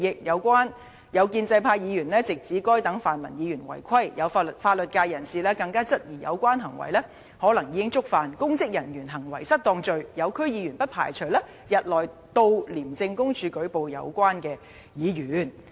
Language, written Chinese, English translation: Cantonese, 有建制派議員直指該等泛民議員違規，有法律界人士更質疑有關行為可能已觸犯'公職人員行為失當'罪，有區議員不排除日內到廉政公署舉報有關議員。, Members from the pro - establishment camp directly berating these pan - democratic Members for violating the rules and people from the legal sector even queried that these Members might have committed the offence of misconduct in public office . Also it is possible that some District Council member may file a complaint against the Members concerned at ICAC in a few days